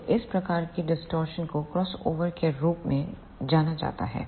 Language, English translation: Hindi, So, this type of distortion is known as the crossover distortion